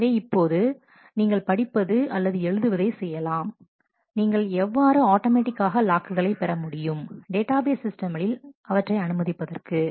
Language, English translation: Tamil, Now, you will have to when you want to do read or write, you may acquire locks automatically the database systems will allow that